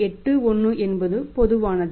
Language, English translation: Tamil, 81 is common that was existing